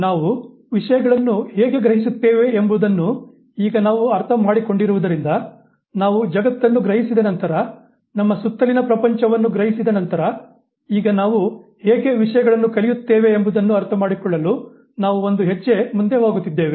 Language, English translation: Kannada, Now that we have understood how we perceive things, we are now moving a step ahead trying to understand that having sensed the world, having perceived the world around us, how do we learn things